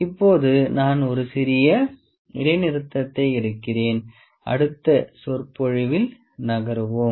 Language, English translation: Tamil, So, as if now I will just take a small pause then we will move in a next lecture